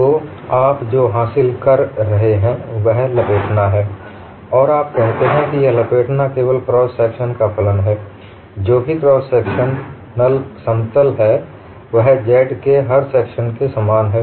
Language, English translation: Hindi, So, what you gain is there is warping and you say this warping is function of only the cross section, whatever the cross sectional plane, it is same as every section of z